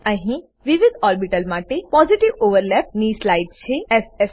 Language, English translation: Gujarati, Here is a slide for Positive overlap of different orbitals